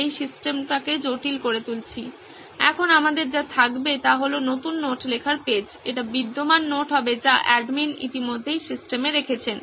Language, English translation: Bengali, Now what we’ll have is, new notetaking page, this would be the existing notes that admin has already put up into the system